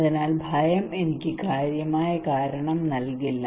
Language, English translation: Malayalam, So fear would not give me much reason